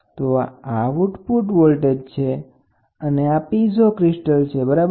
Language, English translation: Gujarati, So, this is the output voltage and this is a piezo crystal, ok